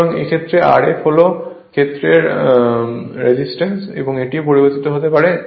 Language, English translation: Bengali, So, in this case and this is R f, R f is the field resistance, this is the field that this you also you can vary